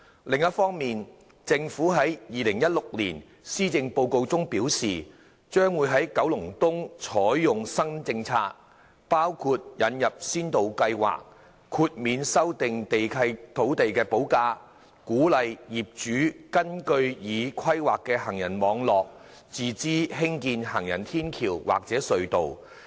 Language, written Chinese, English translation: Cantonese, 另一方面，政府在2016年《施政報告》中表示，將在九龍東採用新政策，包括引入先導計劃，豁免修訂契約土地補價，鼓勵業主根據已規劃的行人網絡自資興建行人天橋或隧道。, On the other hand the Government indicated in the 2016 Policy Address that it would implement new policies for Kowloon East including the introduction of a pilot scheme of waiving the land premium for lease modification to encourage landowners to construct footbridges or subways at their own cost in accordance with the planned pedestrian network